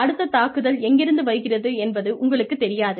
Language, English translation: Tamil, You do not know, where the next attack is coming from